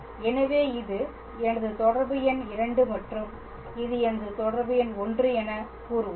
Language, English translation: Tamil, And therefore, so, this is let us say my relation number 2 and this is my relation number 1